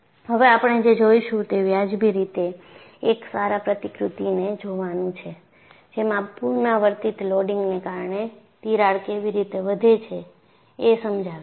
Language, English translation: Gujarati, Now, what we will look at is, we look at a reasonably a good model which explains how a crack grows, because of repeated loading